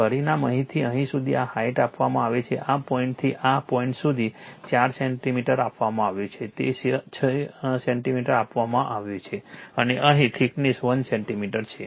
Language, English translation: Gujarati, The dimension is given this height from here to here it is given 4 centimeter from this point to this point it is given 6 centimeter and here the thickness is 1 centimeter